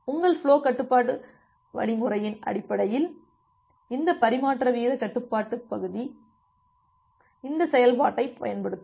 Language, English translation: Tamil, This transmission rate control module based on your flow control algorithm, it will use this function